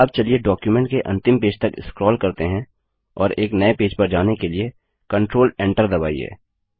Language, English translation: Hindi, Now let us scroll to the last page of the document and press Control Enter to go to a new page